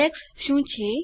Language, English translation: Gujarati, What is an Index